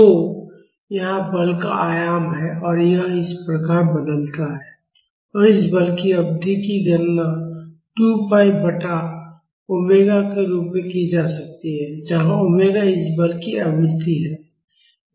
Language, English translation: Hindi, So, here is the amplitude of the force and it vary like this; and the period of this force can be calculated as 2 pi by omega, where omega is the frequency of this force